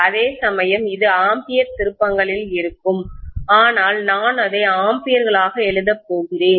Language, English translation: Tamil, Whereas this will be in ampere turns but I am going to write that as amperes, okay